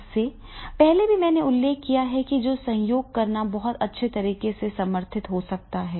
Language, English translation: Hindi, Earlier also it has been mentioned, it is the collaborating can be very well supported